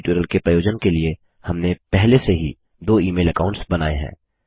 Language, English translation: Hindi, For the purpose of this tutorial, we have already Created two email accounts.for the purpose of this tutorial